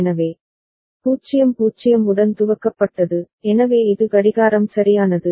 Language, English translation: Tamil, So, initialised with 0 0, so this is the clock right